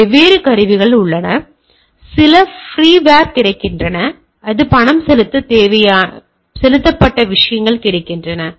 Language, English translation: Tamil, So, there are different tools some freewares are available, some are paid things are available, right